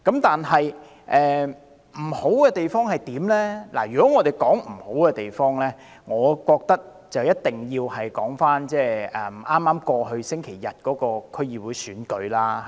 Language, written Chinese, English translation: Cantonese, 但是，如果要談缺點，我覺得一定要提到剛過去星期日舉行的區議會選舉。, However when it comes to demerits I find it a must to mention the District Council Election held last Sunday